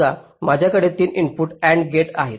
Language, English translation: Marathi, suppose i have a three input and gate